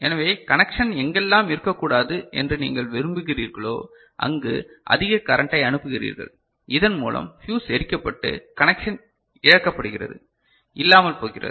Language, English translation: Tamil, So, wherever you want the connection not to be there you send a high current by which the fuse is burnt and the connection is lost